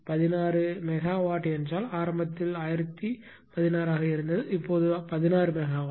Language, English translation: Tamil, 16 megawatt means initially it was 1016 now it is 16 megawatt